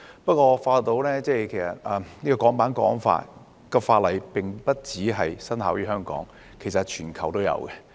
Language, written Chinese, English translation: Cantonese, 不過，我發覺《香港國安法》並不僅在香港生效，其實全球亦然。, However I found that the Hong Kong National Security Law has taken effect not only in Hong Kong but also around the world